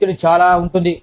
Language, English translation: Telugu, There is too much stress